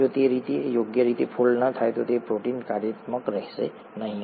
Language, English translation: Gujarati, If that doesnÕt fold properly, then the protein will not be functional